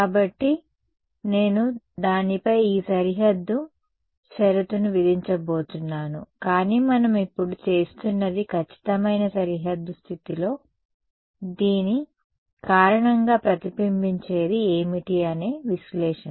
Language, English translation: Telugu, So, I am and I am going to impose this boundary condition on that but, what we are doing now is an analysis of what is the reflection due to this in perfect boundary condition